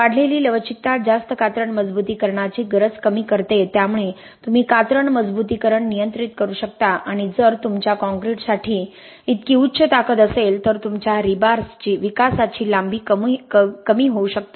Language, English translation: Marathi, The increased ductility reduces the need for excessive shear reinforcement so you can control shear reinforcement and if you have such very high strength for your concrete your development length for your rebars can be reduced